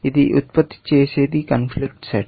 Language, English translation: Telugu, What this produces is a conflict set